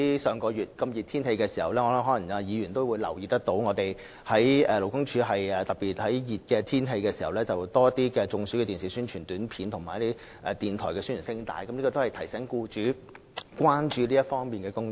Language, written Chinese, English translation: Cantonese, 上月天氣炎熱，議員可能也留意到，勞工處已特別在天氣炎熱期間多加播放預防中暑的電視宣傳短片及電台宣傳聲帶，提醒僱主須為預防僱員中暑多下工夫。, Last month the weather was hot Member may notice that LD had specially instructed more frequent broadcast of television and radio announcements about heat stroke prevention in times of hot weather so as to remind employers of taking extra precautions to prevent employees from suffering heat stroke